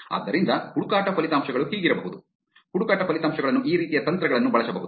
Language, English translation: Kannada, So, the search results can be; search results can be used, these kinds of techniques